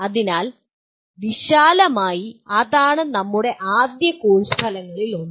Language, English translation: Malayalam, So broadly that is the one of the first course outcomes that we have